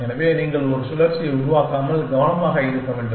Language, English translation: Tamil, So, you must be careful not to form a cycle